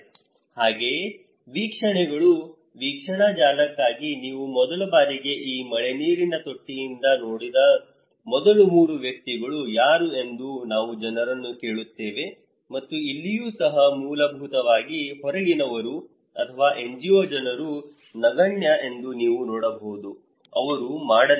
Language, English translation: Kannada, Also the observations; for observation network, we ask people that who was the first three persons where you saw first time this rainwater tank and so here also basically, you can see that outsiders or NGO people are negligible, they did not